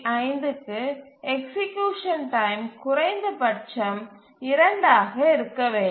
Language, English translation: Tamil, So the task execution time has to be at least 2